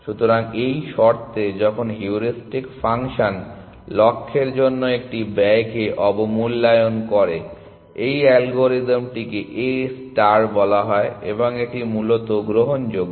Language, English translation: Bengali, So, under the conditions when heuristic function underestimates a cost to the goal this algorithm is called A star and it is admissible essentially